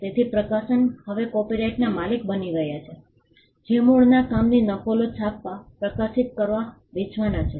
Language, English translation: Gujarati, So, the publisher becomes the copyright owner now the right pertains to printing, publishing, selling of copies of the original work